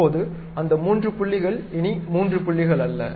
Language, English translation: Tamil, Now, those three points are not anymore three points